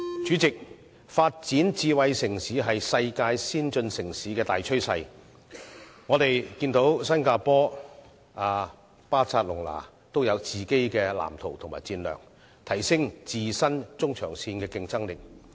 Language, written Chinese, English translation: Cantonese, 主席，發展智慧城市是世界先進城市的大趨勢，我們看到新加坡、巴塞隆拿均有各自的藍圖及戰略，提升中長線的競爭力。, President it is a major trend for advanced cities around the world to pursue smart city development . We can see that Singapore and Barcelona have already drawn up respective blueprints and strategies to enhance their competitive edge in the long - to - medium term